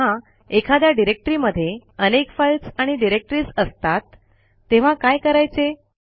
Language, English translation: Marathi, What if we want to delete a directory that has a number of files and subdirectories inside